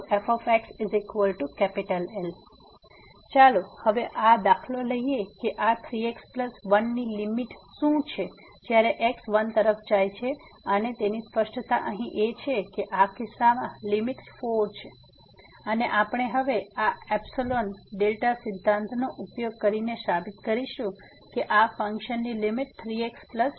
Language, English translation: Gujarati, So, here now let us take this example that what is the limit of this 3 plus 1 as goes to 1 and its clearly visible here that the limit is 4 in this case and we will prove now using this epsilon delta approach that this indeed is the limit of this function 3 plus 1